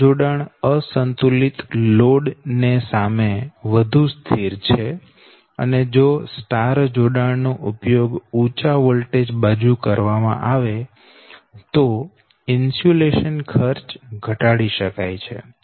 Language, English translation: Gujarati, but this connection is more stable with respect to the unbalanced load and if the y connection is used on the high voltage side, insulation cost are reduced